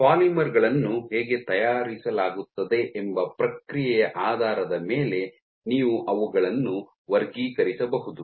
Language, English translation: Kannada, You can also classify the polymers based on the process by which how they are made